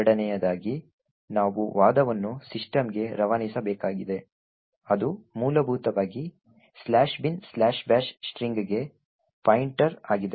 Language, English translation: Kannada, Secondly, we need to pass the argument to system which essentially is a pointer to the string slash bin slash bash